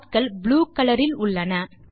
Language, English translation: Tamil, The dots are of blue color